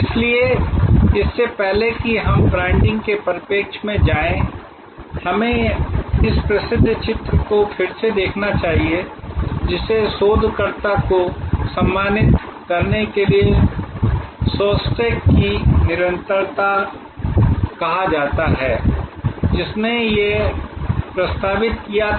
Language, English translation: Hindi, So, before we go into the branding perspective we should revisit this famous diagram, which is called Shostack’s continuum to honour the researcher, who proposed this